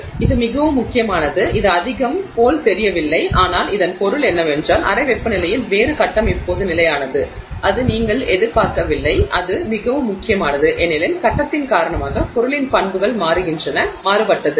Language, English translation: Tamil, So, this is very important, it may not seem like much but what it means is that a different phase is now stable at room temperature which you were not expecting it to be and that is very important because the properties of the material change because the phase has changed